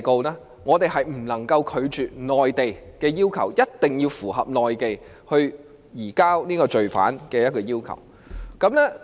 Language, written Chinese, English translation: Cantonese, 就此，我們是不能拒絕內地的要求，一定要符合內地移交罪犯的要求。, In this connection we cannot reject any request made by the Mainland and we have to comply with the Mainlands request of surrendering of an accused or convicted person